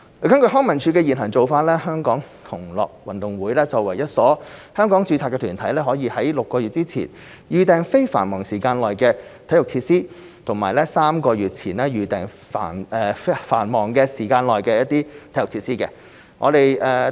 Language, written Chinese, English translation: Cantonese, 根據康文署的現行做法，香港同樂運動會作為一所香港註冊團體，可於6個月前預訂非繁忙時間內的體育設施及於3個月前預訂繁忙時間內的體育設施。, In accordance with LCSDs current practice the Gay Games Hong Kong may as a locally registered organization reserve non - peak slots and peak slots of sports facilities up to six months and three months in advance respectively